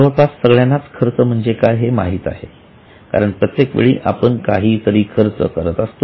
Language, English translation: Marathi, Now, almost everybody knows expense because every now and then we keep on incurring some expense